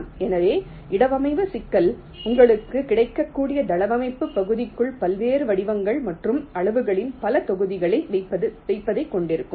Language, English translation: Tamil, so the placement problem will consist of placing a number of blocks of various shapes and sizes within the layout area that is available to you